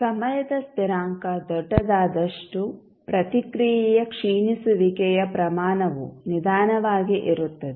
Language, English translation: Kannada, Larger the time constant slower would be the rate of decay of response